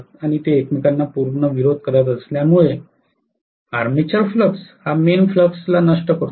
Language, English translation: Marathi, And because they oppose each other completely literally the armature flux tends to kill the main flux